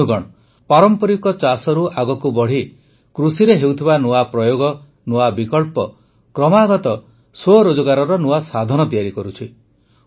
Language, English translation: Odia, moving beyond traditional farming, novel initiatives and options are being done in agriculture and are continuously creating new means of selfemployment